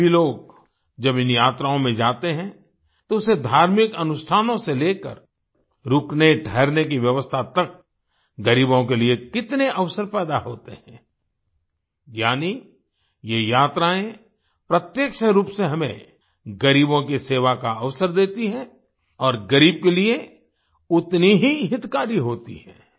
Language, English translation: Hindi, Even today, when people go on these yatras, how many opportunities are created for the poor… from religious rituals to lodging arrangements… that is, these yatras directly give us an opportunity to serve the poor and are equally beneficial to them